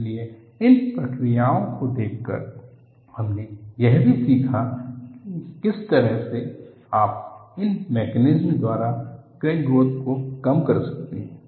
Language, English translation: Hindi, So, by looking at these processes, we also learned in what way, you could minimize crack growth by these mechanisms